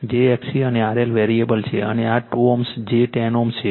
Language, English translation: Gujarati, j x c, and R L variable, and this is your 2 ohm j 10 ohm